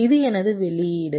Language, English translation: Tamil, this is my output